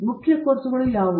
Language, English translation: Kannada, What are the main courses